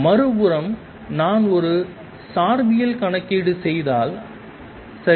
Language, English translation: Tamil, On the other hand if I do a relativistic calculation right